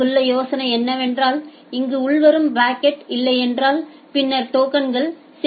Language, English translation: Tamil, The idea here is that if there is no packet here if there is no incoming packet here, then the tokens are getting added right